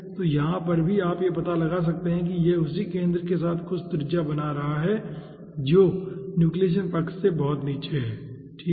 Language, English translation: Hindi, so, over here also, you can find out, it is making some radius with the same ah ah center, which is far below than the nucleation side